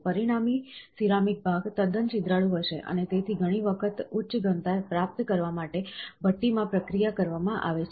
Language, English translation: Gujarati, The resultant ceramic part will be quite porous, and thus are often post processed in the furnace to achieve higher density